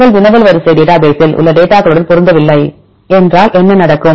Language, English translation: Tamil, If your query does not match with the data in the sequence database what will happen